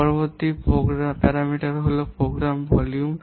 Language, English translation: Bengali, Next parameter is program volume